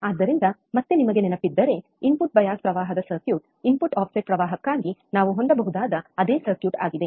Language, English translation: Kannada, So, again you if you if you guys remember, the circuit for the input bias current is the same circuit we can have for input offset current